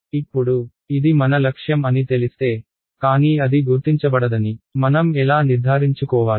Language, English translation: Telugu, Now, if know that is the goal, but how do I make sure that it is not detectable